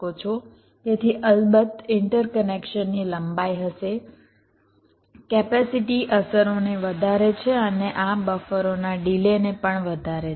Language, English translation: Gujarati, so there will be the interconnection lengths, of course, the capacity rise, the affects and also the delay of the this buffers